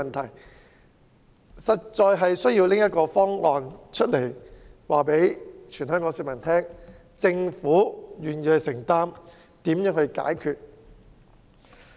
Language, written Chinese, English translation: Cantonese, 政府實在有需要拿出一個方案，告訴全港市民，政府願意承擔和解決問題。, The Government really needs to come up with a proposal to tell Hong Kong people that it is willing to take up responsibilities and solve the problems